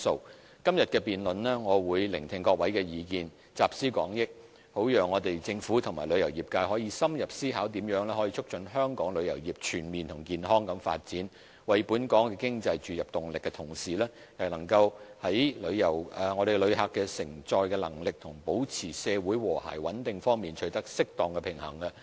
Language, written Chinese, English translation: Cantonese, 我會在今天的辯論聆聽各位的意見，集思廣益，好讓政府和旅遊業界可深入思考，如何在促進香港旅遊業全面和健康地發展、為本港經濟注入動力的同時，亦能在旅客承載能力和保持社會和諧穩定方面取得適當的平衡。, I will listen to the views expressed by Members during todays debate and pool collective wisdom for the Government and the tourism industry to ponder how we can promote comprehensive and healthy development of Hong Kongs tourism industry so that while we give impetus to our economy we can also strike an appropriate balance between visitor receiving capacity and the maintenance of social harmony and stability